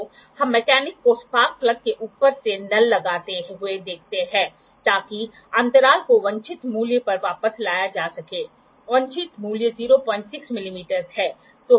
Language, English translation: Hindi, So, what we see the mechanic put tap from the top of the spark plug to make bring the gap back to the desired value; desired value is 0